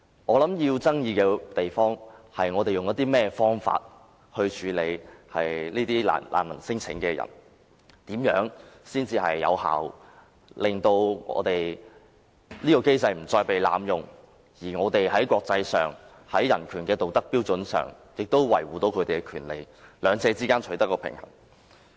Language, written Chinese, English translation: Cantonese, 需要爭議的地方是我們應以甚麼方法處理聲稱是難民的人士，怎樣才能有效地令機制不再被濫用，而香港又能在國際間的人權道德標準上維護他們的權利，在兩者之間取得平衡。, It is disputable however how we should handle cases involving refugee claimants so that a balance may be struck between preventing effectively any further abuse of the mechanism and fulfilling our moral obligations to safeguard the claimants rights in accordance with the international human rights standards